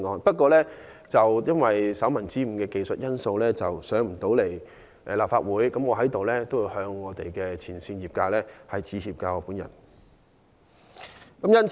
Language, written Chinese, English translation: Cantonese, 不過，由於手民之誤的技術原因，修正案未能在本會進行辯論，我就此向業界前線員工致歉。, However this amendment cannot be put to the Council for debate because of a typographical mistake which is a technical reason . In this connection I have to apologize to the frontline staff